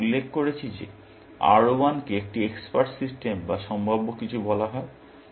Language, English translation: Bengali, I mentioned things like, R1 is called an expert system or prospective